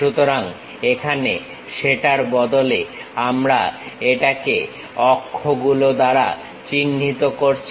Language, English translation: Bengali, So, here instead of that, we are denoting it by letters